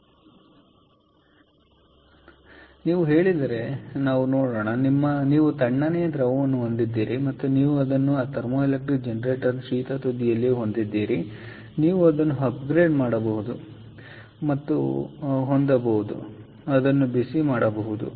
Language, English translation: Kannada, so if you say, lets see, you have a cold fluid and you have it at the cold end of the thermoelectric generator and you have at the hotter end, you have ah, you, you can upgrade it and have and heat it up